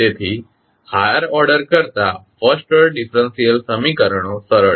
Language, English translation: Gujarati, So, the first order differential equations are simpler to solve than the higher order ones